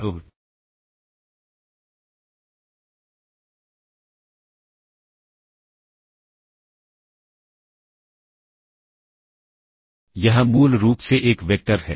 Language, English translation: Hindi, So, this is basically a vector